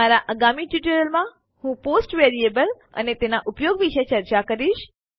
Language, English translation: Gujarati, In my next tutorial, I will talk about the post variable and its uses